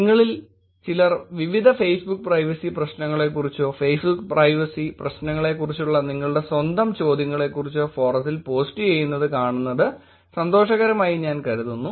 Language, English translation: Malayalam, I think it is nice to see some of you posting information about various Facebook privacy issues or your own questions about Facebook privacy issues on the forum